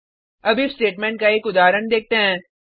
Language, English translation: Hindi, Now let us look at an example of if statement